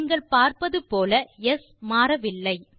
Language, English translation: Tamil, So as you can see, s has not changed